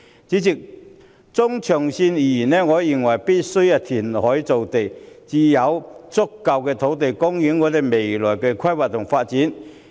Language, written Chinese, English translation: Cantonese, 主席，中長線而言，我認為必需填海造地，才能有足夠的土地供應配合未來的規劃和發展。, President I find it necessary to create land through reclamation in the medium to long run to ensure that there is sufficient land supply to cope with future planning and development